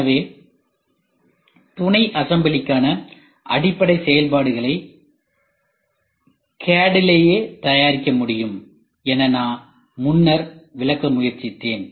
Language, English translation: Tamil, So, that is why I was trying to explain previously library functions for sub assemblies will be made in the CAD itself library function